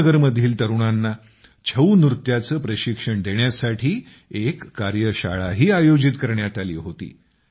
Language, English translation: Marathi, A workshop was also organized to impart training in 'Chhau' dance to the youth of Srinagar